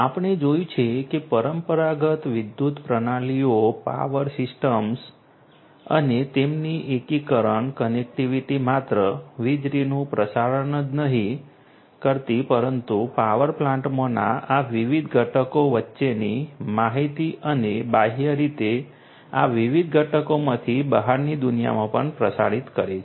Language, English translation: Gujarati, We have seen that traditional electrical systems, power systems and their integration connectivity not only to transmit electricity, but also to transmit information between these different components in a power plant and also externally from these different components to the outside world